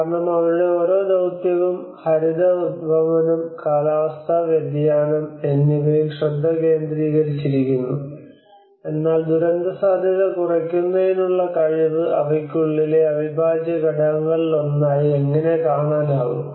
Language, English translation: Malayalam, Because their each mission is focused on the green emissions, on climate change, in but how they are able to see the disaster risk reduction as one of the integral component within it